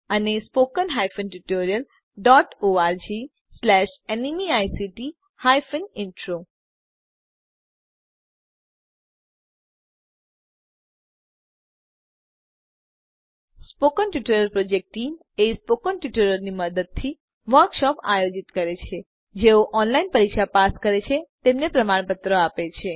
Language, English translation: Gujarati, The Spoken Tutorial Project Conducts workshops using spoken tutorials Also gives certificates to those who pass an online test